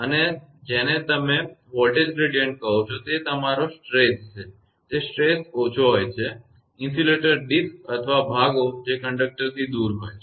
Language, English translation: Gujarati, And what you call that voltage gradient your stress; the stress is less, the insulator disks or pieces which are away from the conductor